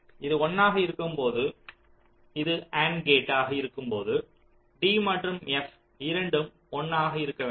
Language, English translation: Tamil, so when it will be one, when this is a and gate, both d and f should be one